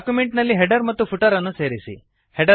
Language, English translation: Kannada, Add a header and footer in the document